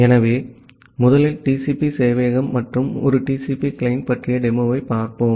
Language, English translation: Tamil, So, first let us look into the demo of demo about the TCP server and a TCP client